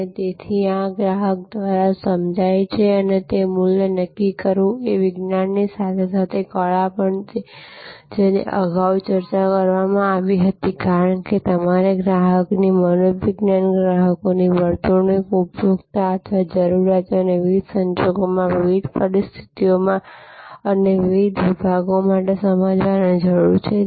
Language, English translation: Gujarati, And so this is determining the value as perceive by the customer is science as well as art that has been discussed earlier, because you have to understand customer psychology, customers behavior, consumer or requirement under different circumstances, under in different situations and for different segments